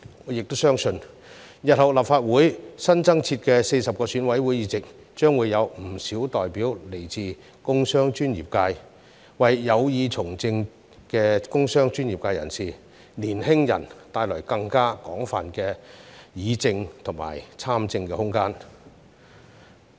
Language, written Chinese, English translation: Cantonese, 我也相信日後立法會新增設的40個選委會議席將會有不少代表來自工商專業界，為有意從政的工商專業界人士和年輕人帶來更廣泛的議政和參政空間。, I also believe many of the newly - added 40 EC seats in the Legislative Council in future will be taken up by representatives from the business and industrial sector . To members of the business and industrial sector and young people with political aspirations this will provide greater room for public policy discussion and participation in politics